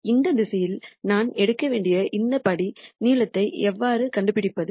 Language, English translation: Tamil, So, how do I find this step length that I need to take in this direction